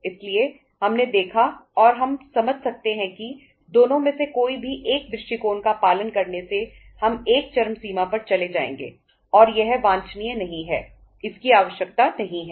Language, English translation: Hindi, So we uh saw and we could understand that uh following either of the two approaches will take us to uh on the one extreme and that is not desirable, that is not required